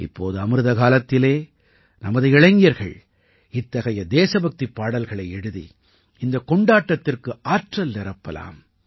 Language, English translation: Tamil, Now in this Amrit kaal, our young people can instill this event with energy by writing such patriotic songs